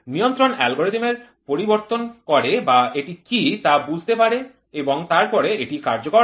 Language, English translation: Bengali, Control algorithm does the modification or understands what is it then it actuates